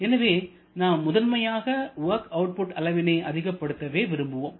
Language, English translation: Tamil, So, primarily we go for maximizing the work output for this